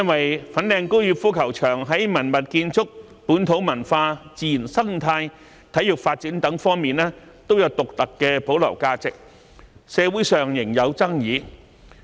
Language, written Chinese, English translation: Cantonese, 由於粉嶺高爾夫球場在文物建築、本土文化、自然生態及體育發展等方面，都有獨特的保留價值，社會上對其搬遷問題仍有爭議。, As the Fanling Golf Course has its unique preservation value in terms of heritage local culture ecology and sports development there is still controversy in society over its relocation